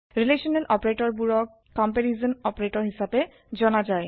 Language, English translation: Assamese, Relational operators are also known as comparison operators